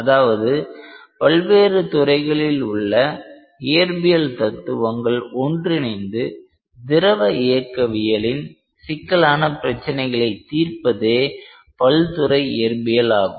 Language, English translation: Tamil, So, this is called as multi physics, where physics from multiple disciplines need to be converse together to solve a fluid dynamics problem